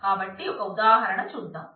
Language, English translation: Telugu, So, let us look at a example